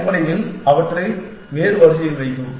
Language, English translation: Tamil, And put them back in some different order essentially